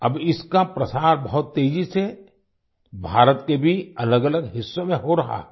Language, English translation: Hindi, This is now spreading very fast in different parts of India too